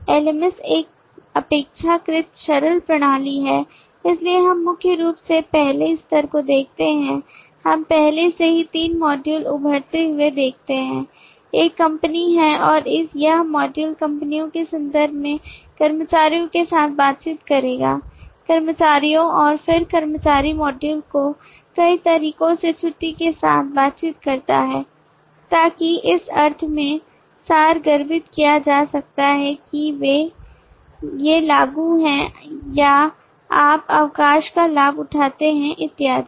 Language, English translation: Hindi, lms is a relatively simple system so we see primarily the first level we already see three modules emerging one is the company and that module will interact with the employees in terms of companies has employees and then employee module in interact with leave in multiple ways so which can be abstracted in the sense that these are apply for or you know avail of leave and so on